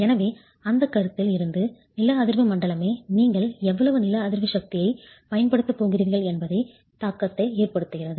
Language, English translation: Tamil, So, from that consideration, one, the seismic zonation itself has an effect on how much seismic force you are going to use